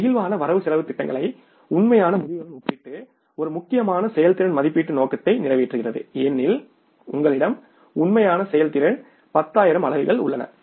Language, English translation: Tamil, Comparing the flexible budgets to the actual results accomplishes an important performance evaluation purpose because you have actual performance 10,000 units